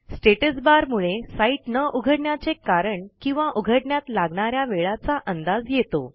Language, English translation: Marathi, The Status bar can help you to understand why a particular site is not loading, the time it may take to load, etc